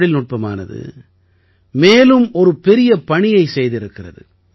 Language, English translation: Tamil, Technology has done another great job